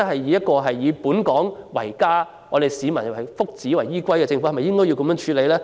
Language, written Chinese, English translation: Cantonese, 若真的是以本港為家，以市民福祉為依歸的政府，是否應該這樣處理？, Should the problem be handled this way if we really call Hong Kong our home and if the Government genuinely gives priority to the well - being of Hong Kong people?